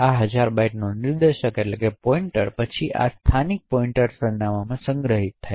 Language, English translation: Gujarati, The pointer to this thousand bytes is then stored in this local pointer address